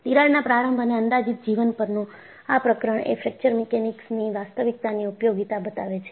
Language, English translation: Gujarati, The chapter on Crack Initiation and Life Estimation is the real utility of Fracture Mechanics